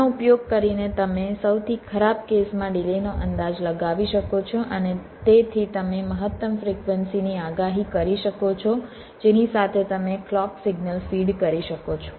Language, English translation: Gujarati, using this you can estimate the worst is delays, and hence you can predict the maximum frequency with which you can feed the clock clock signal